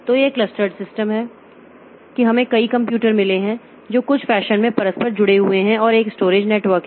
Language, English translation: Hindi, So, this is the clustered system that we have we have got a number of computers they are interconnected in some fashion and there is a storage area network